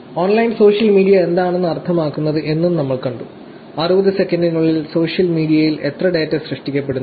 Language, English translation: Malayalam, We also saw what online social media means in 60 seconds; so, how much of data is getting generated on social media in 60 seconds